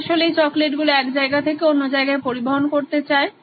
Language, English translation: Bengali, They wanted to transport this chocolates from one geography to another